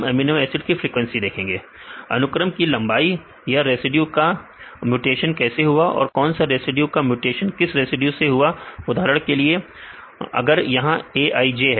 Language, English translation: Hindi, Length of the sequences and how this residue is mutated and which residues mutated to which residue for example, if it is Aij right